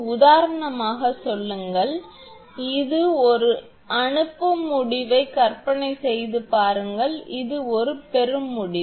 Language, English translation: Tamil, For example, say for example, imagine this is a sending end then this is a receiving end